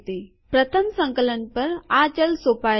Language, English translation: Gujarati, On first compilation, this variable is not assigned